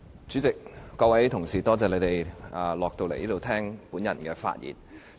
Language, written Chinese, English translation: Cantonese, 主席，各位同事，感謝大家從樓上下來會議廳聽我發言。, Chairman I thank Honourable colleagues for coming downstairs to the Chamber to listen to my speech